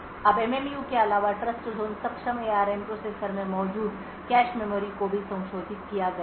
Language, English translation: Hindi, Now in addition to the MMU the cache memory present in Trustzone enabled ARM processors is also modified